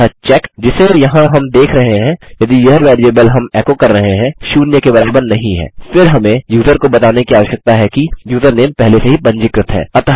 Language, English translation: Hindi, So the check that we were looking for here is if this variable we are echoing out, is not equal to zero,..then we need to tell the user that the username is already registered